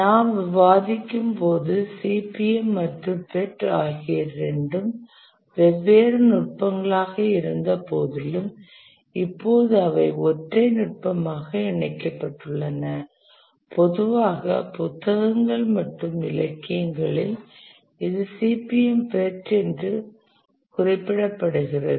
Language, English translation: Tamil, As you are discussing, though CPM and PUT were two different techniques, now they are merged into a single technique and usually in the books and literature this is referred to as CPM part